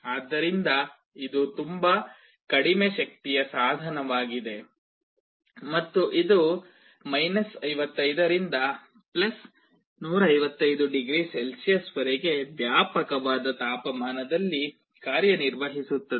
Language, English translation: Kannada, So, it is also a very low power device, and it can operate over a wide range of temperatures from 55 to +155 degree Celsius